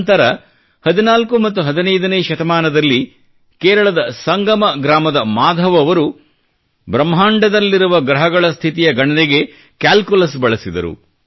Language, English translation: Kannada, Later, in the fourteenth or fifteenth century, Maadhav of Sangam village in Kerala, used calculus to calculate the position of planets in the universe